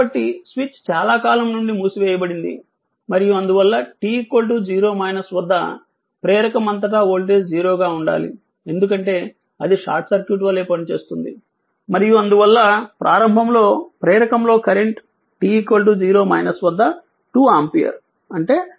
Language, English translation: Telugu, So, the switch has been closed for a long time and hence the voltage across the inductor must be 0 at t is equal to 0 minus, because it will act as a short circuit it will act as a short circuit right and therefore the initially current in the inductor is 2 ampere at t is equal to minus 0 that is i L 0 is equal